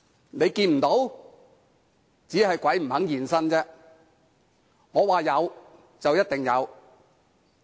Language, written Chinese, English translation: Cantonese, 如果看不到，只是鬼不願意現身，他們說有便一定有。, If one cannot see the ghosts it is just because the ghosts do not want to appear; when they say there are ghosts there will certainly be ghosts